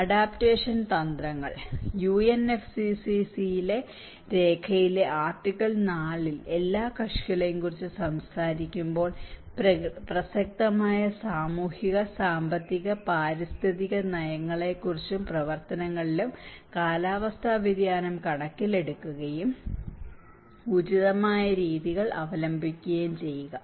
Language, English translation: Malayalam, Adaptation strategies; when we talk about all parties in article 4 in UNFCCC document; take climate change considerations into account to the extent feasible in their relevant social, economic and environmental policies and actions and employ appropriate methods